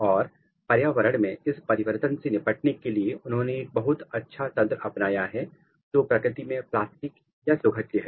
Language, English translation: Hindi, And, to cope with this change in the environment they have adopted a very nice mechanism and which is plastic in nature